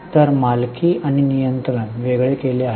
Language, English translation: Marathi, So, ownership and control is separated